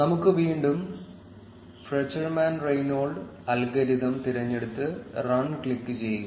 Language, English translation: Malayalam, Let us again select the Fruchterman Reingold algorithm and click on run